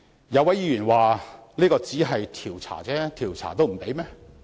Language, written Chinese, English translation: Cantonese, 有位議員說：這只是調查，調查也不行？, A Member said This is just an investigation why is it not possible?